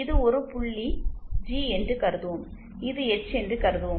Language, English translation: Tamil, Suppose this is a point say G and this is the point say H